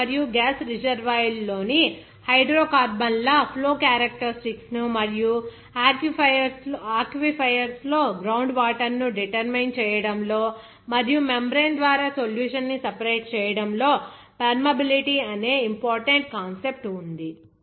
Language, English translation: Telugu, The concept of permeability is of importance in the determination of the flow characteristics of the hydrocarbons in oil and gas reservoirs and of groundwater in aquifers and also the separation of the solute by a membrane